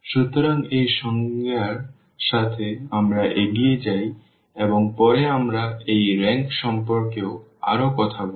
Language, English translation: Bengali, So, with this definition, we go ahead and later on we will be talking more about this rank